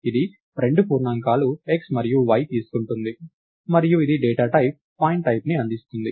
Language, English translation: Telugu, It takes two integers x and y and it returns a data type pointType